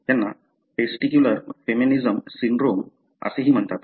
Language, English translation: Marathi, These are also called as testicular feminisation syndrome